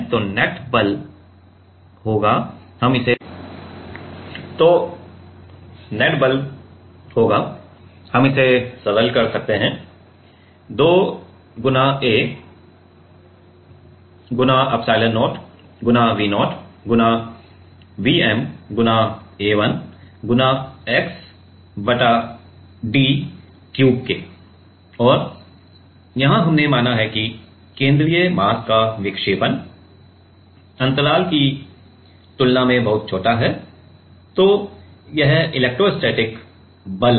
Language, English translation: Hindi, So, the net forces will be we can simplify it to 2 A epsilon0 V 0 V m A 1 x by d cube; and here we have considered; here we have considered that, the deflection of the central mass is very small compared to the gap; compared to the gap